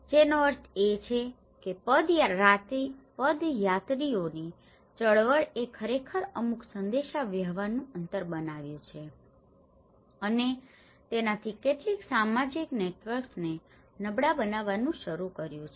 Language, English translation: Gujarati, Which means the pedestrian movement have actually created certain communication gap and also it started weakening some social networks